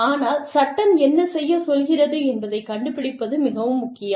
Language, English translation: Tamil, But, it is very important to find out, what the law tells you, to do